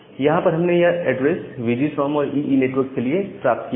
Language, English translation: Hindi, So, we get this address for the VGSOM plus EE network